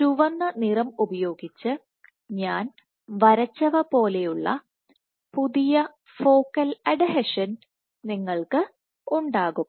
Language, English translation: Malayalam, You would have a new focal adhesion which I have drawn using red colour